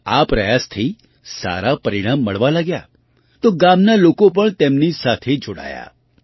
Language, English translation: Gujarati, When his efforts started yielding better results, the villagers also joined him